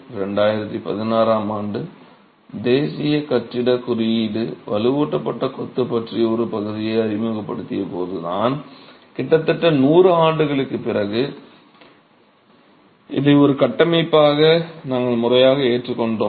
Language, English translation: Tamil, And it's only in 2016 when the National Building Code introduced a section on reinforced masonry that we formally adopted this as a structural system almost 100 years later